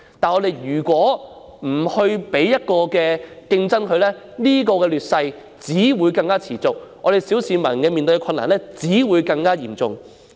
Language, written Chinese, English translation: Cantonese, 可是，如果不引入競爭，這種劣勢只會持續，小市民面對的困難只會更嚴重。, Yet if no competition is introduced the unfavourable position will continue and it will aggravate the difficulties faced by the average citizen